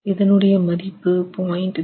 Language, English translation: Tamil, And we get a value of 0